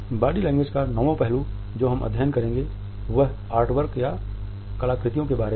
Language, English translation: Hindi, The ninth aspect of body language which we shall study is about the Artifacts